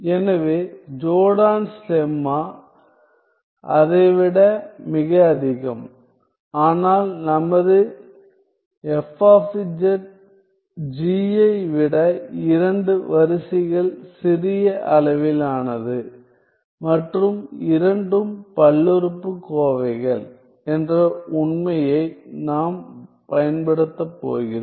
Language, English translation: Tamil, So, Jordans lemma is much more than that, but we are going to use the fact that our F z is two orders of magnitudes smaller than G and both are polynomials